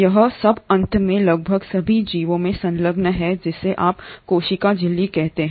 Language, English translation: Hindi, All this is finally enclosed in almost all the organisms by what you call as the cell membrane